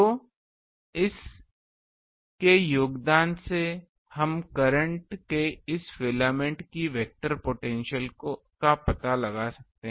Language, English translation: Hindi, So, the contribution of this we can find out the vector potential of this filament of current